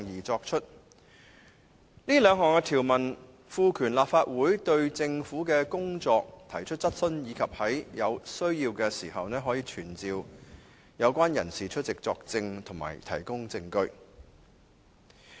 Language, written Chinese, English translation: Cantonese, 這兩項條文賦權立法會對政府的工作提出質詢，以及可在有需要時傳召有關人士出席作證和提供證據。, These two provisions empower the Legislative Council to raise questions on the work of the Government and when necessary to summon persons concerned to testify or give evidence